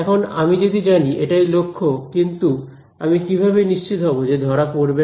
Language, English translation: Bengali, Now, if know that is the goal, but how do I make sure that it is not detectable